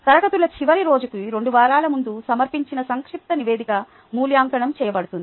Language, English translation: Telugu, a concise report submitted two weeks before the last day of classes will be evaluated